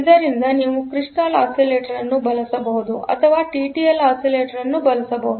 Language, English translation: Kannada, So, you can use a quartz crystal oscillator or you can use a TTL oscillator